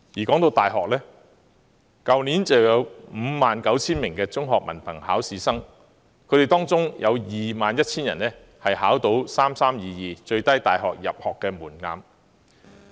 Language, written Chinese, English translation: Cantonese, 談到大學，去年有 59,000 名中學文憑考試生，當中有 21,000 人考獲 "3-3-2-2" 最低大學入學門檻的成績。, About university education 59 000 students sat for the Hong Kong Diploma of Secondary Education Examination last year and 21 000 of them met the 3 - 3 - 2 - 2 minimum entry requirements of universities